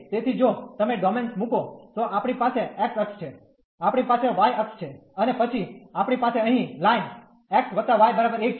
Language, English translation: Gujarati, So, if you put the domains, so we have x axis, we have y axis and then we have the line here x plus y is equal to 1